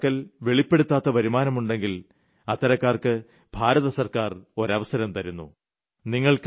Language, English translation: Malayalam, To the people who have undisclosed income, the Government of India has given a chance to declare such income